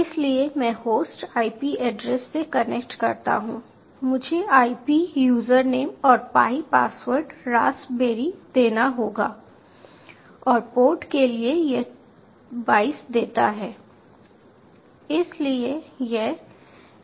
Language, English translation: Hindi, the ip address was i put in, the ip user name was pi, password was raspberry, and under ports it give twenty two